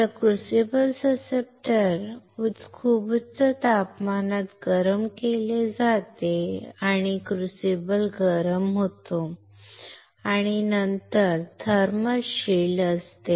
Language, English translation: Marathi, So, the crucible susceptor is heated at very high temperature and crucible gets heated and then there is a thermal shield here